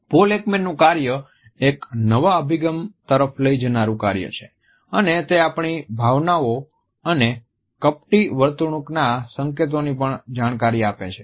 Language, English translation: Gujarati, Paul Ekman's work is a path breaking work and it gives us insights into line emotional leakages of our emotions and also to the clues to deceitful behavior